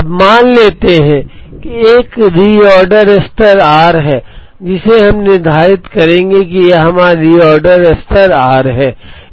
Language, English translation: Hindi, Now, let us assume that there is a reorder level r which we will determine this is our reorder level r